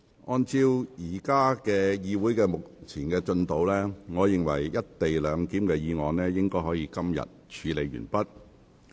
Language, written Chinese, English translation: Cantonese, 按照會議目前的進度，我認為"一地兩檢"的議案應可於今天處理完畢。, In light of the current progress of the meeting I think this Council can finish dealing with the motion on the co - location arrangement today